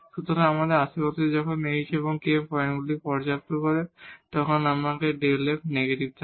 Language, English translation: Bengali, So, in their neighborhood when this h and k satisfies these points then we have this delta f negative